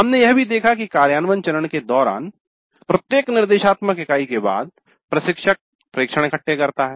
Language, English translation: Hindi, Then we also noted during the implement phase that after every instructional unit the instructor makes observations